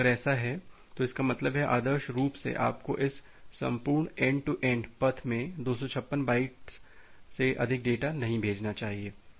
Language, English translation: Hindi, So, if that is the case; that means, ideally you should not send data more than 256 byte in this entire end to end path